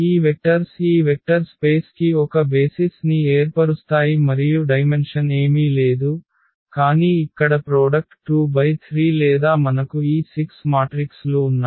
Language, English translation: Telugu, So, what is the conclusion that these vectors form a basis for the this vector space and the dimension is nothing, but the product here 2 by 3 or we have this 6 matrices